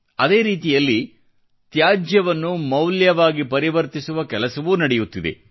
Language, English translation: Kannada, In the same way, efforts of converting Waste to Value are also being attempted